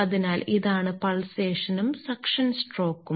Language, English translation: Malayalam, So, this is the pulsation and this is the suction stroke